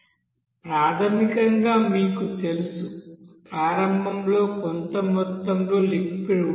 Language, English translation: Telugu, So basically you know that, initially there will be certain amount of liquid